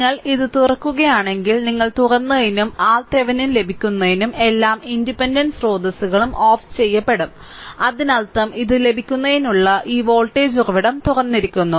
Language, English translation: Malayalam, And if you open this one, for this one you open and for getting your R Thevenin, all the independent sources are turned off right; that means, here this voltage source to get this is open, this is open, right